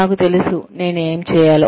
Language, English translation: Telugu, I know, what I am supposed to do